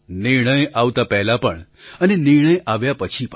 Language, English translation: Gujarati, Whether it was before the verdict, or after the verdict